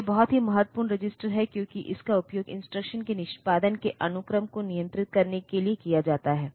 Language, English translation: Hindi, So, this is a very important register, because this is used to control the sequencing of execution of instruction